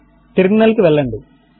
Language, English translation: Telugu, Switch to the terminal